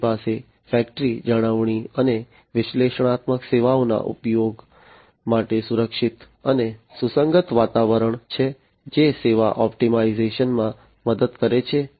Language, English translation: Gujarati, They have a secure and compatible environment for use of factory maintenance, and analytical services that helps in service optimization